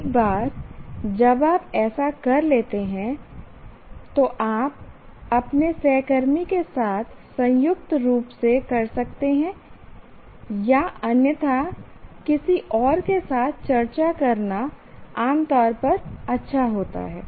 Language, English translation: Hindi, Once you do that, you can do this jointly with some colleague of viewers or otherwise, it is generally good to discuss with somebody else